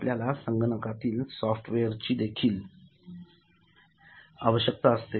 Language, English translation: Marathi, within the computer you will need software